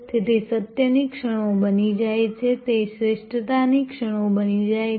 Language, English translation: Gujarati, So, the moments of truth becomes, they become moments of excellence